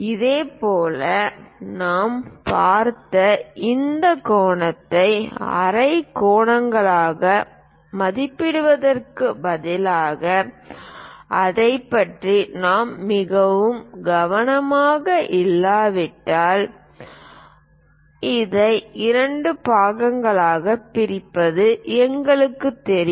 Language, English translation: Tamil, Similarly, divide this angle we have seen if we instead of approximating into half angles if we are not very careful about that we know how to divide this into two parts